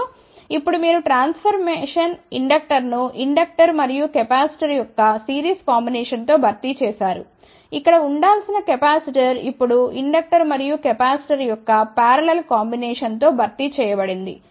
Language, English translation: Telugu, And, now you just look at the transformation inductor was replaced by series combination of inductor and capacitor, a capacitor what was supposed to be here is not replaced by parallel combination of inductor and capacitor